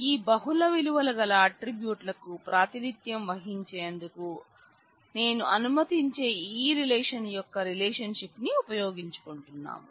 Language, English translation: Telugu, And I make use of this relation relationship that I create which allow me to represent this multi valued attribute